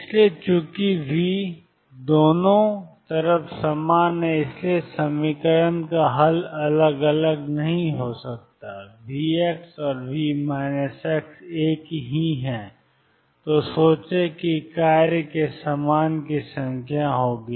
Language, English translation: Hindi, So, since V is the same on the both sides the solution of the equation cannot be different write V x and V minus x are one and the same, think there will be exactly the same number as the function of